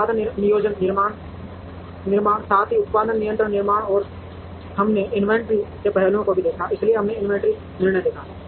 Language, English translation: Hindi, Production planning decisions, as well as production control decisions, and we have seen aspects of inventory, so we have seen inventory decisions